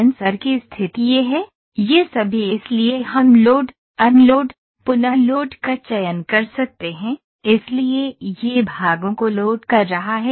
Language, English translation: Hindi, So, sensor position is this one so all these so we can select load, unload, reload, move so it is loading the parts